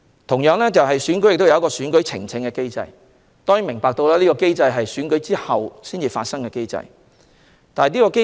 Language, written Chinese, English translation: Cantonese, 同時，區議會選舉亦有選舉呈請機制，當然這是在選舉後才可以啟動的機制。, Moreover there is also an election petition mechanism for the DC Election . Of course this mechanism can only be activated after the Election